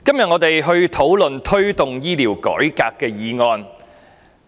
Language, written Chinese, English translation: Cantonese, 我們今天討論題為"推動醫療改革"的議案。, The motion we are discussing today is entitled Promoting healthcare reform